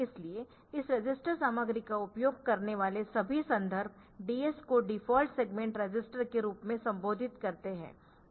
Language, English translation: Hindi, So, all references utilizing this register content for addressing used ES as the default segment register